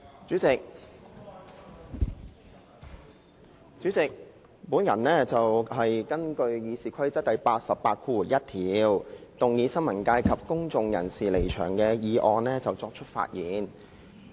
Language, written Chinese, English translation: Cantonese, 主席，我就根據《議事規則》第881條動議的"新聞界及公眾人士離場"的議案發言。, President I speak on the motion on withdrawal of members of the press and of the public moved under Rule 881 of the Rules of Procedure RoP